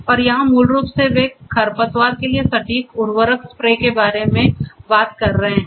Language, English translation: Hindi, And here basically they are talking about precise fertilizer spray to the weeds